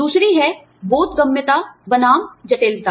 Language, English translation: Hindi, The other is, comprehensibility versus complexity